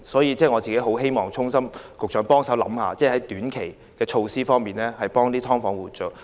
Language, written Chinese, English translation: Cantonese, 為此，我衷心希望局長考慮有何短期措施可協助"劏房"租戶。, In this connection I truly hope that the Secretary will explore some short - term remedies for them